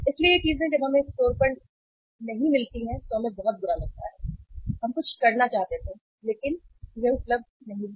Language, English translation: Hindi, So these things when we do not find on the store we feel very bad that we wanted to have something but it is not available